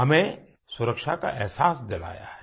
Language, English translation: Hindi, It has bestowed upon us a sense of security